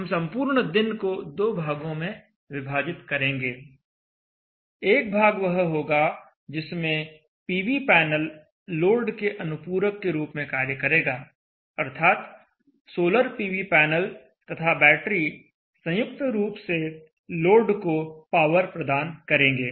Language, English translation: Hindi, We shall split the entire day into two parts one part where the solar PV panel will supplement the load solar PV panel and battery both together will be powering the load